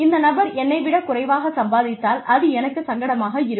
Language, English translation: Tamil, If this person earns lesser than me, then I will feel uncomfortable